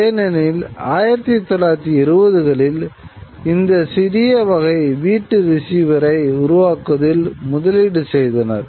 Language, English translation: Tamil, This goal was there because this kind of since the 1920s there was investment in building this small sort of domestic receiver